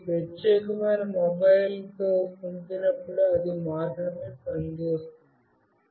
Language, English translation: Telugu, And when I send with this particular mobile, it will only work